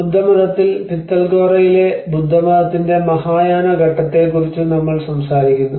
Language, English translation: Malayalam, \ \ \ In the Buddhism, one of the important phase we talk about the Mahayana phase of Buddhism at Pitalkhora